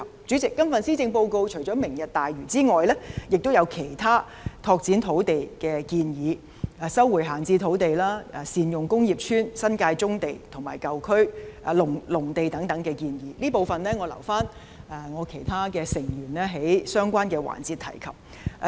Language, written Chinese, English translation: Cantonese, 主席，今次施政報告除了提出"明日大嶼"外，亦有其他拓展土地的建議：收回閒置土地、善用工業邨、新界棕地、農地及舊區重建等，這部分我留給其他議員在相關環節討論。, President apart from Lantau Tomorrow there are other proposals on land development in the Policy Address eg . resumption of idle sites optimizing the use of industrial estates brownfield sites in the New Territories agricultural land and redevelopment of old districts . I will leave these to other Members to talk about in other relevant sessions